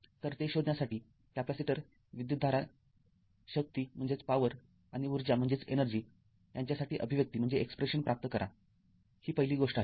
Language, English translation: Marathi, So, you have to find out derive the expression for the capacitor current power and energy this is the first thing